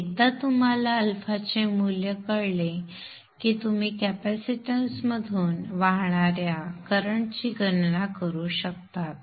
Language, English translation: Marathi, Then once you know the value of alpha you can calculate the current that is flowing through the capacitance